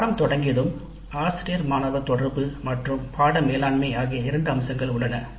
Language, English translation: Tamil, Then once the course commences, teacher student interaction, course management